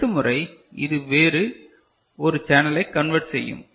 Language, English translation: Tamil, So, next time it is converting another channel